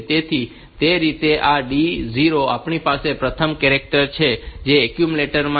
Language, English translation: Gujarati, So, that way this D 0 that we have the first charter that is there in the accumulator